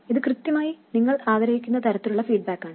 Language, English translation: Malayalam, This is exactly the kind of feedback that you want